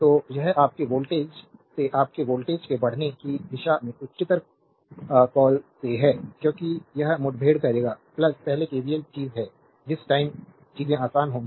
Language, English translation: Hindi, So, it is from the voltage your from the higher your what you call in the direction of the voltage rise, because it will encounter plus first one is the KVL thing at the time things will be easier